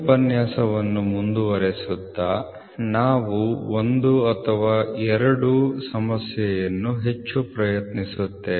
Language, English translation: Kannada, So, continuing to yesterday’s lecture the next problem we will try 1 or 2 one problem more